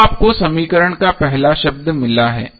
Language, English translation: Hindi, So you have got first term of the equation